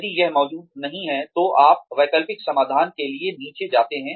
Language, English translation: Hindi, If it does not exist, then you move down to alternate solutions